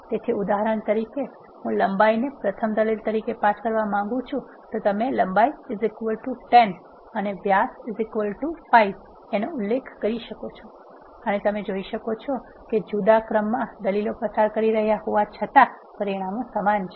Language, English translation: Gujarati, So, for example, I want to pass length as a first argument you can specify length is equal to 10 and diameter is equal to 5 and you can still see the result is same even though you pass the arguments in the different order